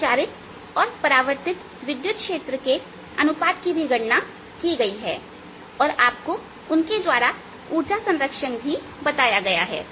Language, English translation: Hindi, the ratios of transmitted and ah reflected electric field have been calculated and you also shown through those that energy is reconserved